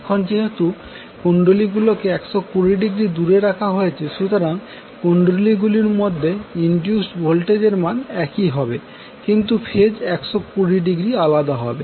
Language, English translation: Bengali, Now, since the coils are placed 120 degree apart, the induce voltage in the coils are also equal in magnitude but will be out of phase by 120 degree